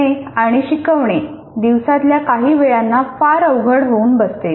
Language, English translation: Marathi, Teaching and learning can be more difficult at certain times of the day